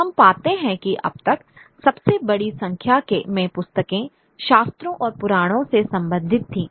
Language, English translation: Hindi, We find that by far the largest number of books where those related to scriptures and mythologies